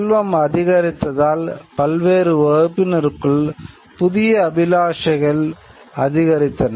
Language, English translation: Tamil, Increased wealth creation gives rise to new aspirations within various classes of people